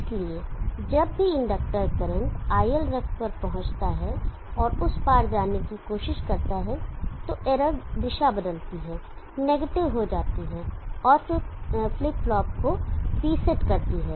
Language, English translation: Hindi, so whenever the inductor current reaches ilref and tries to cross that, then the error changes the direction becomes – and then resets the flip flop